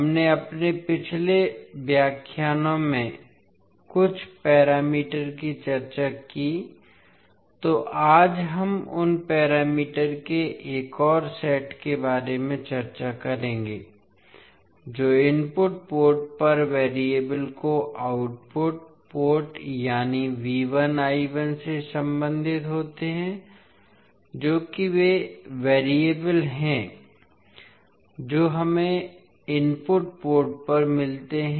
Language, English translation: Hindi, So we discussed few of the parameters in our previous lectures, so today we will discuss about another set of parameters which relates variables at the input port to those at the output port that means the V 1 I 1 that is the variable we get at the input port will be related with the output port variable that is V 2 and I 2